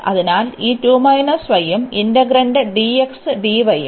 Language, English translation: Malayalam, So, this 2 minus y and the integrand dx dy